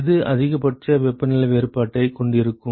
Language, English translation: Tamil, Which one will have the maximal temperature difference